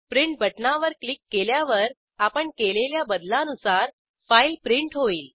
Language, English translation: Marathi, If you click on Print button, the file will be printed with the changes made